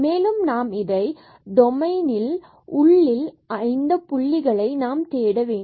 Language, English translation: Tamil, So, what we have to search now we have to search inside the domain so at all these points